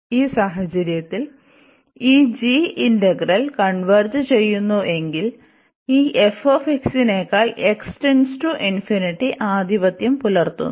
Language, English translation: Malayalam, And in this case if this g integral converges, so we have this function which is a dominating as x approaches to infinity than this f x